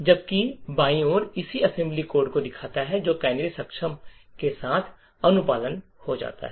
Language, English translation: Hindi, While on the left side shows the corresponding assembly code that gets complied with canaries enabled